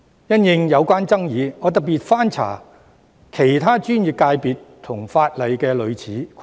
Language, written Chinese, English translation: Cantonese, 因應有關的爭議，我特別翻查了其他專業界別和法例的類似規定。, In view of the controversy I have specially looked up similar requirements in other professional sectors and legislation